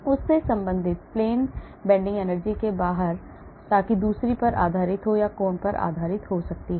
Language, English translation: Hindi, Out of plane bending energy related to that so that could be based on either distance or that could be based on the angle